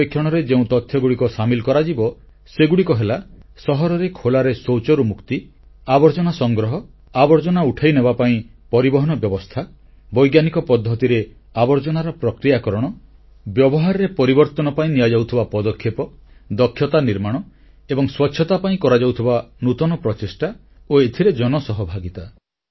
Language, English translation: Odia, During this survey, the matters to be surveyed include freedom from defecation in the open in cities, collection of garbage, transport facilities to lift garbage, processing of garbage using scientific methods, efforts to usher in behavioural changes, innovative steps taken for capacity building to maintain cleanliness and public participation in this campaign